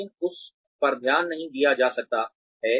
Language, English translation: Hindi, But, that may not be noticed